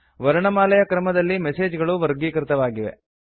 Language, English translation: Kannada, The messages are now sorted in an alphabetical order